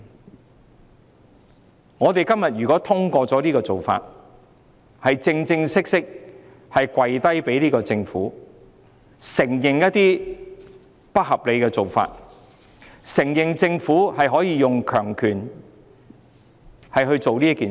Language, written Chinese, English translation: Cantonese, 如果我們今天通過這種做法，便是向這個政府正式跪低，承認一些不合理的做法，承認政府可以用強權來做任何事。, If such a practice is endosed today it is tantamount to an official surrender to the Government by acknowledging some unreasonable practices acknowledging that the Government can use its authoritarian powers to do anything